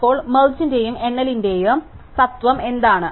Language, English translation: Malayalam, So, what is the principle of merge and count